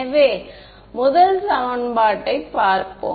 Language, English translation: Tamil, So, let us look at the first equation